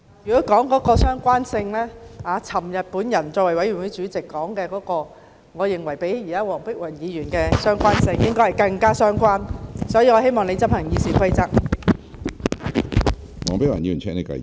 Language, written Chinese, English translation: Cantonese, 如果說相關性，昨天我作為法案委員會主席所說的，我認為較黃碧雲議員現時所說的更為相關，所以，我希望你執行《議事規則》。, Talking about relevance I think what I said yesterday in my capacity as Chairman of the Bills Committee was more relevant than what Dr Helena WONG is talking about now so I hope you will enforce the Rules of Procedure